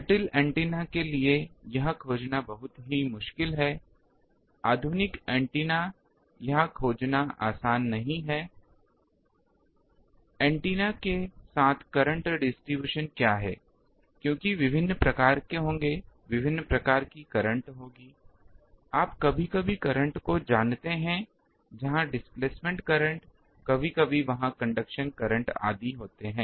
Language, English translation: Hindi, It is very difficult to find for complicated antennas, modern antennas it is not easy to find the, what is the current distribution along the antennas because there will be various modes, there will be various types of currents, you know the currents sometimes where the displacement current, sometimes there conduction current etc